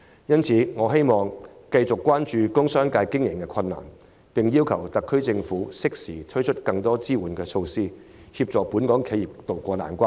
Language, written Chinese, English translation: Cantonese, 因此，我希望政府繼續關注工商界經營上的困難，並適時推出更多支援措施，協助本港企業渡過難關。, 8 or No . 10 typhoon . Hence I hope the Government will pay continued attention to the operational difficulties of the business sector rolling out more support measures timely to help Hong Kong enterprises ride out the storm